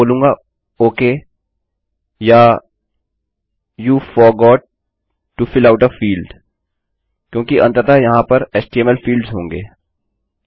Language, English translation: Hindi, Ill say ok or you forgot to fill out a field because there will eventually be HTML fields